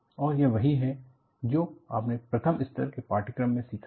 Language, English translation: Hindi, And, this is what, you learn in the first level course